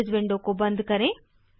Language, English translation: Hindi, Now close this window